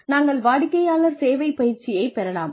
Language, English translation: Tamil, We can have customer service training